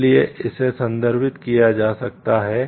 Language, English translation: Hindi, So, it can be referred to